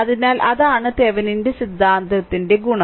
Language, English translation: Malayalam, So, that is the advantage of Thevenin’s theorem